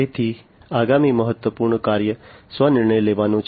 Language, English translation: Gujarati, So, the next important function is the self decision making